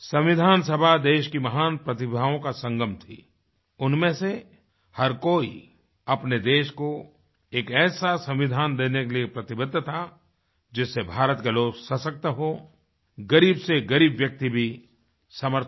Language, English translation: Hindi, The Constituent Assembly was an amalgamation of the great talents of the country, each one of them was committed to provide a Constitution to the country which empowers the people of India and enriches even the poorest of the poor